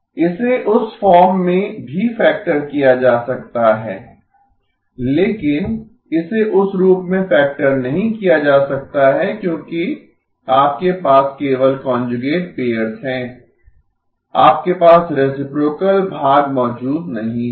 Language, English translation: Hindi, ” This can also be factored into that form, but this cannot be factored into that form because you just have conjugate pairs, you do not have the reciprocal part present